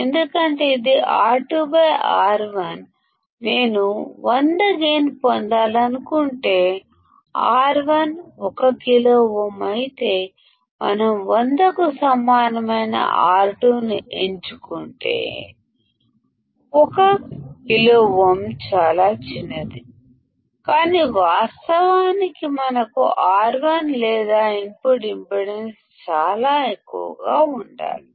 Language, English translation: Telugu, Because it is R2 by R1; if I want to have gain of 100; if R1 is 1K; if we select R2 equal to 100; 1K is extremely small, but in reality we should have R1 or the input impedance extremely high